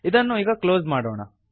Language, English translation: Kannada, Let us close this